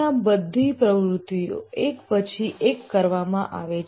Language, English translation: Gujarati, Here the activities are carried out one after other